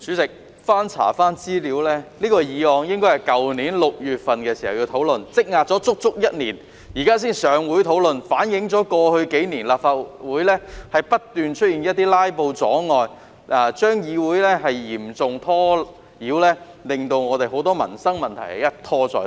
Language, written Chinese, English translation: Cantonese, 主席，經翻查資料後發現，這項議案原應去年6月討論，積壓了足足一年，現在才能在立法會會議上討論，反映過去數年，立法會不斷出現"拉布"阻礙，議會受嚴重干擾，令很多民生問題一拖再拖。, President having looked through the relevant information I found that this motion should have been discussed in June last year . It has been delayed for a whole year before it can be discussed at this Legislative Council meeting . This reflects that over the past few years constant filibustering acts have seriously disrupted the operation of the Legislative Council and many livelihood issues have been delayed again and again